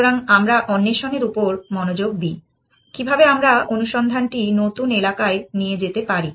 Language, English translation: Bengali, So, the focus is still on exploration, how can we make the search go onto newer areas